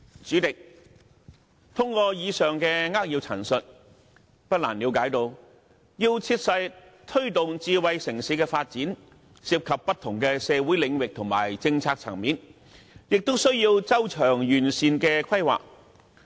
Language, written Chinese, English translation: Cantonese, 主席，透過以上的扼要陳述，不難了解到要切實推動智慧城市發展，涉及不同的社會領域和政策層面，亦需要周詳完善的規劃。, President from the main points summarized just now it can readily be seen that the effective promotion of smart city development involves various community areas and policy levels and requires thorough and comprehensive planning